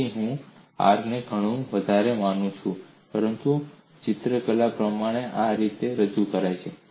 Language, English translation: Gujarati, So I take r is much greater than a, but pictorially it is represented in this fashion